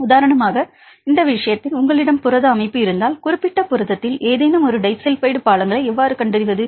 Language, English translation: Tamil, In this case for example, if you have protein structure right how to identify the disulphide a bridges whether any a disulphide bridges in the particular protein